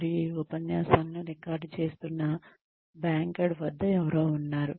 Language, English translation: Telugu, And, there is somebody at the backend, who is recording these lectures